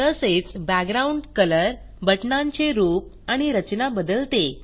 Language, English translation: Marathi, Changes the background colors, the look of the buttons and the layout